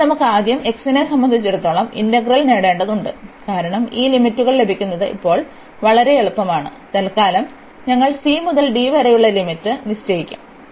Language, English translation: Malayalam, So, we have this first we need to get the integral with respect to x, because getting this limits are as much easier now and for the while we will put the limits from c to d